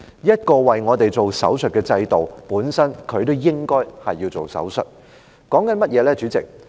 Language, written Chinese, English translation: Cantonese, 這個為市民施手術的制度本身也應該接受手術。, This system which offers surgical services to the public should also receive a surgery